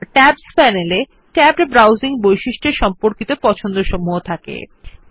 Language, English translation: Bengali, The Tabs panel contains preferences related to the tabbed browsing feature